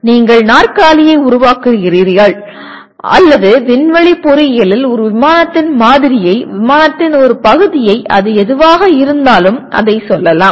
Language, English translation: Tamil, Or you create the chair or in aerospace engineering you are asked to create a let us say a model of a plane, whatever part of a plane, whatever it is